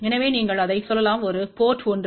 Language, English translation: Tamil, So, you can say that there is a port 1